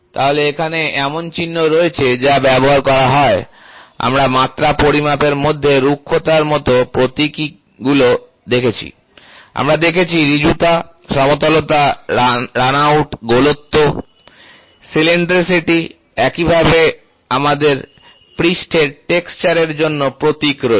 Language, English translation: Bengali, So, there are symbols which are used like, what we in the dimension measurement we saw symbols like roughness, we did saw straightness, flatness, runout, circularity, cylindricity same way we also have the symbols for surface texture